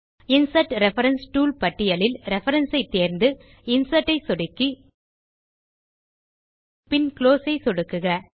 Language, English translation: Tamil, Now choose Reference in the Insert reference tool list and click on Insert once and close